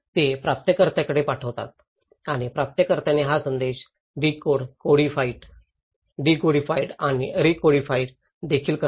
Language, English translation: Marathi, They send it to the receiver and receiver also decode, decodify and recodify this message